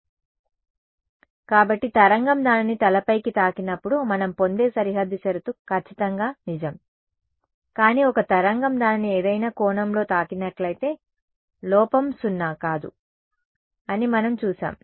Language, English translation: Telugu, Correct right; so, a boundary condition which we derive was exactly true when the wave hits it head on, but if a wave hits it at some angle, we have seen that the error is non zero right